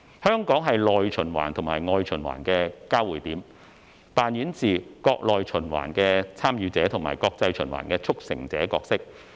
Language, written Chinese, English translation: Cantonese, 香港是內循環和外循環的交匯點，扮演着國內循環"參與者"和國際循環"促成者"的角色。, Hong Kong is the intersection point of domestic and international circulations playing a participant role in domestic circulation and a facilitator role in international circulation